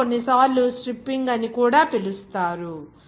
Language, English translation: Telugu, It is also sometimes called stripping